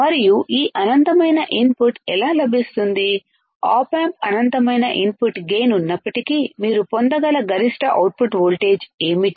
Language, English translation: Telugu, And how this infinite input gain what is the maximum output voltage that you can obtain even if the op amp has infinite input gain